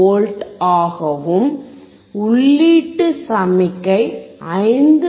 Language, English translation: Tamil, 88V, and the input signal is 5